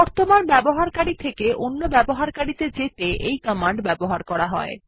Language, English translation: Bengali, This command is useful for switching from the current user to another user